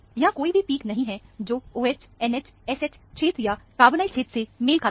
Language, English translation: Hindi, There are no peaks that are corresponding to the OH, NH, SH region, or the carbonyl regions